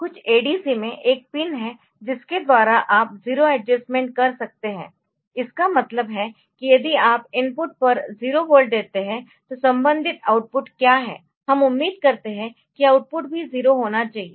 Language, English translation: Hindi, Some of the ADC's that you have so, there is a pin by which you can do A 0 adjustment, means if you give A 0 volt at the input then what is the corresponding output so, we expect that the output should also be 0